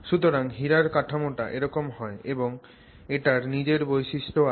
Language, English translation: Bengali, So, the diamond structure comes like this and it has its own characteristics